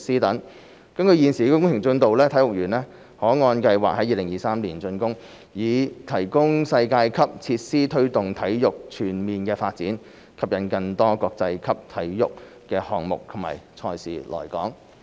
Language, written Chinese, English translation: Cantonese, 根據現時工程進度，體育園可按計劃在2023年竣工，以提供世界級設施推動體育全面發展，吸引更多國際級體育項目及賽事來港。, Based on the progress of the project the Sports Park will be completed in 2023 as scheduled to provide world - class facilities for the promotion of holistic sports development and to attract more international sports events and competitions to Hong Kong